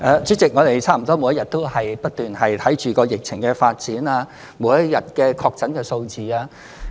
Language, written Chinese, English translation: Cantonese, 主席，我們差不多每日都不斷檢視疫情的發展及每日的確診數字。, President we have been constantly reviewing the development of the epidemic and the number of confirmed cases on a daily basis